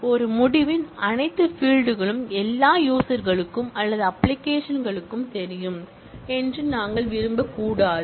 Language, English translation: Tamil, So, we may not want all fields of a result to be visible to all the users or to the application